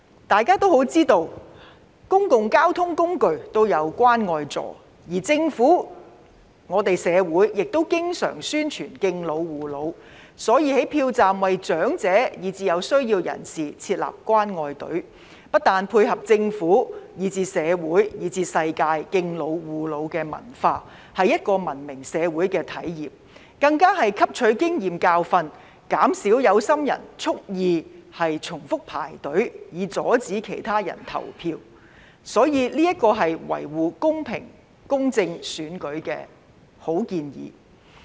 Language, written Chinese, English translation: Cantonese, 大家都知道，公共交通工具均設有"關愛座"，而政府及我們社會亦經常宣傳敬老護老，所以在票站為長者以至有需要人士設立"關愛隊"，不但是配合政府、社會以至世界敬老護老的文化，是文明社會的體現，更是汲取經驗教訓，減少有心人蓄意重複排隊，以阻礙其他人投票，所以這是維護公平公正選舉的好建議。, Moreover the Government and our society often promote respect and care for the elderly . Therefore setting up caring queues at polling stations for the elderly and people in need is not only in line with the culture of respect and care for the elderly in the Government society and the world as well as manifestation of a civilized society . It is also what we have learnt from experience to prevent people from queuing repeatedly on purpose to obstruct others from voting